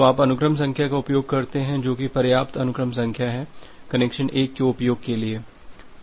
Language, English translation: Hindi, So, you use the sequence number which is high enough of the sequence number that was utilized for connection 1